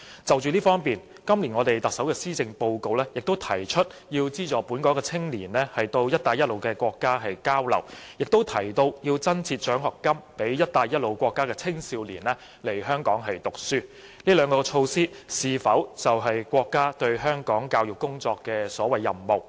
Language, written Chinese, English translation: Cantonese, 就此方面，特首今年的施政報告亦提出要資助本港青年到"一帶一路"的國家交流，亦提到要增設獎學金予"一帶一路"國家的青少年來港讀書，這兩項措施是否就是國家對香港教育工作所謂的"任務"？, In this regard in the Policy Address this year the Chief Executive has also mentioned subsidizing local young people in having exchanges in the Belt and Road countries and introducing scholarships to the young people in the Belt and Road countries for studying in Hong Kong . Are these two measures the so - called tasks of the State regarding education in Hong Kong?